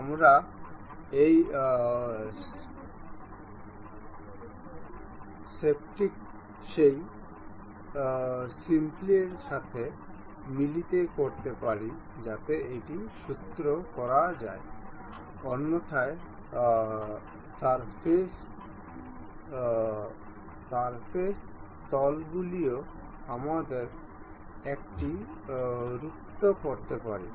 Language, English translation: Bengali, We can mate this spiral with that spiral, so that it can be screwed otherwise surfaces are also we can really mate it